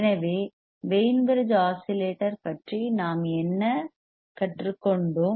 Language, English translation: Tamil, So, what will learnt about the Wein bridge oscillator